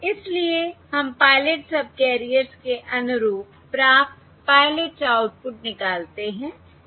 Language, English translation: Hindi, Therefore, we extract the received pilot outputs corresponding to the pilot subcarriers